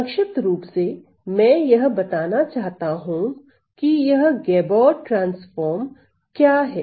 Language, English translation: Hindi, So, just briefly I just want to mention, so what is this Gabor transform